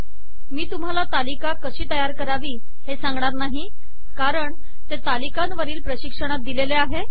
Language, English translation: Marathi, I am not going to explain how to create this table, this has already been explained in the spoken tutorial on tables